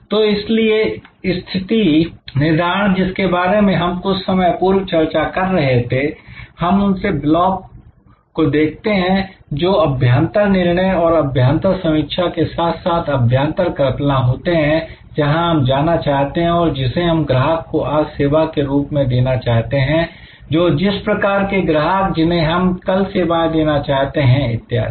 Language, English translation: Hindi, So, positioning therefore, as we were discussing little while back when we look that those six blocks depend on internal decisions and internal analysis as well as internal assumes that is where we want to go, which customers we are serving today, which kind of customers we want to serve tomorrow it etc, these are all internal decisions